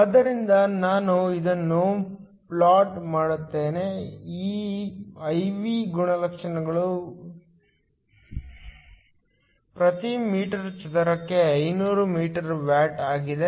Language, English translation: Kannada, So, let me plot this; this I V characteristic is for 500 watts per meter square